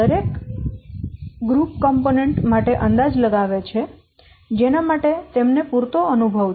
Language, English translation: Gujarati, Each group estimate components for which it has adequate experience